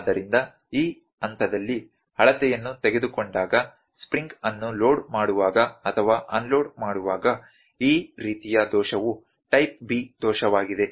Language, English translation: Kannada, So, this kind of error when the loaded or loading or unloading of spring when the measurement is taken at this point this kind of error is type B error